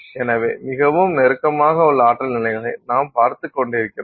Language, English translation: Tamil, So, we are looking at energy levels are very closely spaced